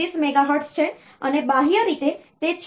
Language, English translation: Gujarati, 125 megahertz, and externally it is 6